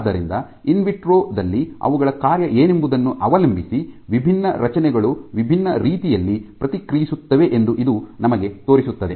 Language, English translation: Kannada, So, this shows you the different structures respond in different ways depending on what their function is within the in vitro context ok